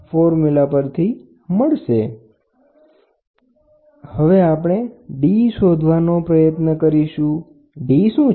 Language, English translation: Gujarati, So now, you can try to find out the d, what is d